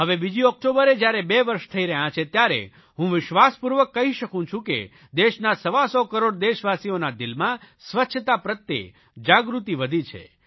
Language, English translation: Gujarati, Now it is going to be nearly two years on 2nd October and I can confidently say that one hundred and twenty five crore people of the country have now become more aware about cleanliness